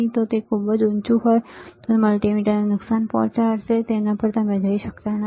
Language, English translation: Gujarati, If it is too high, it will cause damage to the multimeter, you cannot go to that